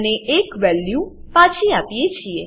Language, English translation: Gujarati, And we return the value